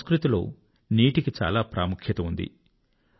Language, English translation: Telugu, Water is of great importance in our culture